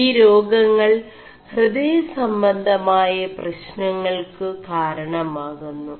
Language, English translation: Malayalam, And these lead to heart problems